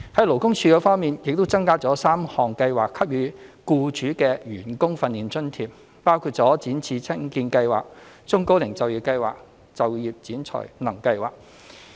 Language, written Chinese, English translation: Cantonese, 勞工處方面，處方已增加3項計劃給予僱主的員工訓練津貼，包括"展翅青見計劃"、"中高齡就業計劃"及"就業展才能計劃"。, On the part of LD it has increased the employee training allowances payable to employers under three schemes namely the Youth Employment and Training Programme YETP the Employment Programme for the Elderly and Middle - aged and the Work Orientation and Placement Scheme